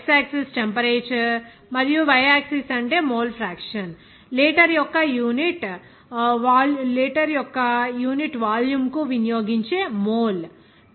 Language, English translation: Telugu, In this, x axis is temperature and y axis is what would be the mole fraction, mole that is consumed per unit volume of litre